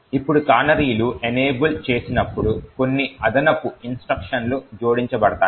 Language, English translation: Telugu, Now when canaries are enabled there are a few extra instructions that gets added